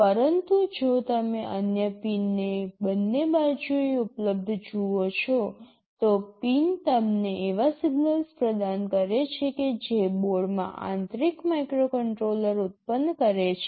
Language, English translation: Gujarati, But, if you see the other pins available on the two sides, the pins provide you with the signals that the internal microcontroller on board is generating